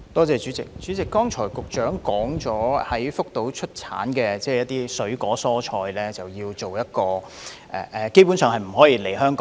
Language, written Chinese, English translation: Cantonese, 主席，局長剛才表示，在福島出產的水果、蔬菜基本上不能進口香港。, President earlier on the Secretary said that the import of fruits and vegetables from Fukushima is basically prohibited in Hong Kong